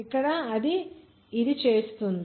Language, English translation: Telugu, So here will make it